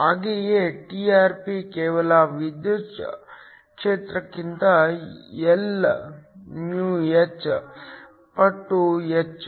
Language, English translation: Kannada, Similarly, Trp is just Lυh times the electric field